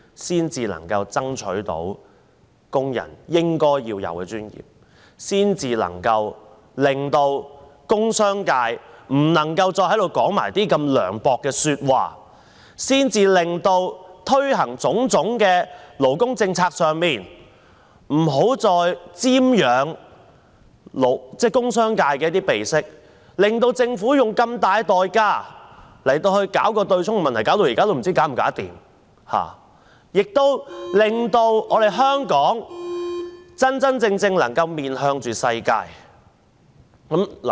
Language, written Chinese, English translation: Cantonese, 這樣才能夠爭取到工人應有的尊嚴，這樣方能阻止工商界在此說出如此涼薄的話；在推行種種勞工政策問題上，不要再瞻仰工商界的鼻息，令政府要用如此大的代價來處理強積金對沖的問題，至今也不知道問題能否解決，以及令香港能夠真真正正面向世界。, This is the only way to stop Members from the industrial and business sectors from saying something so mean here . Regarding the implementation of labour policies stop living by the breath of the industrial and business sectors so that the Government need not pay such a dear price to abolish the offsetting arrangement of MPF an issue yet to be settled . Only by so doing can Hong Kong truly face up to the world